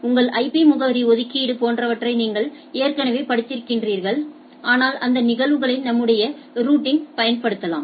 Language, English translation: Tamil, These are already you have you have studied in your IP address allocation etcetera, but we can utilize this phenomena for our routing